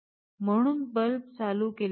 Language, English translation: Marathi, So, the bulb is not switched on